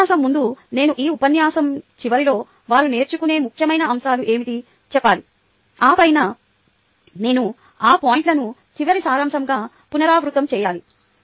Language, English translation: Telugu, i should tell, at the end of this lecture, what are the important points they will learn, and then i should repeat those points at the end as a summary